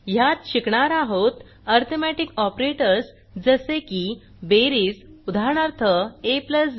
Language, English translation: Marathi, In this tutorial, we will learn about Arithmetic operators like + Addition: eg